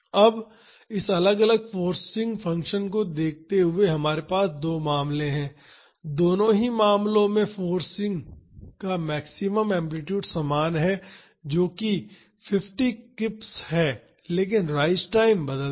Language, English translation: Hindi, Now, looking at this different forcing function we have two cases, in both the cases the maximum amplitude of the force is same that is 50 kips, but the rise time changes